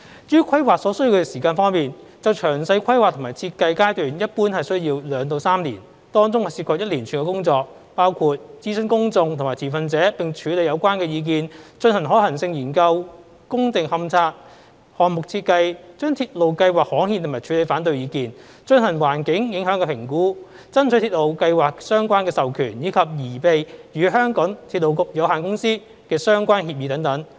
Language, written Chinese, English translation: Cantonese, 至於規劃所需要的時間方面，詳細規劃及設計階段一般需要2至3年，當中涉及一連串工作，包括諮詢公眾及持份者並處理有關的意見、進行可行性研究、工地勘察、項目設計、把鐵路計劃刊憲及處理反對意見、進行環境影響評估、爭取鐵路計劃的相關授權，以及擬備與香港鐵路有限公司的相關協議等。, As regards the time required for planning the detailed planning and design stage generally takes two to three years and would involve a number of activities including consultation with the public and stakeholders and resolution of the comments received carrying out feasibility study site investigation project design gazettal of railway schemes and handling of objections carrying out environmental impact assessment seeking authorization of the railway schemes as well as preparation of relevant agreements with the MTR Corporation Limited